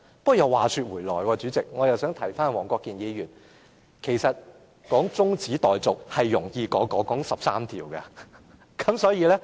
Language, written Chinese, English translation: Cantonese, 不過，話說回來，我也想提一提黃國健議員，動議中止待續議案，是較討論那13項附屬法例容易。, However back to the subject I wish to remind Mr WONG Kwok - kin that it is easier to move an adjournment motion than discuss the 13 items of subsidiary legislation